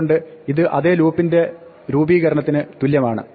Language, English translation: Malayalam, So, this is the equivalent formulation of the same loop